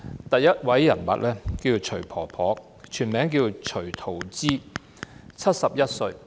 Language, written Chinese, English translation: Cantonese, 第一個人物是徐婆婆，她全名徐桃枝 ，71 歲。, The first person is Granny XU whose full name is XU Taozhi 71